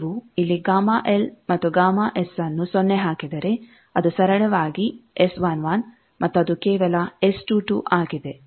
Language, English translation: Kannada, So, gamma if you put gamma L and gamma S, here 0, it is simply S 11 and it is simply S 22